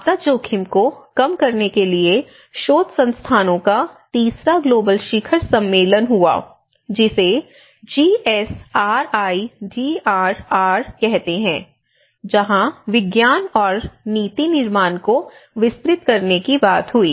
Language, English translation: Hindi, So, in fact the Third Global Summit of research institutes of disaster risk reduction where we call it GSRIDRR and this is where they talk about the expanding the platform for bridging science and policy make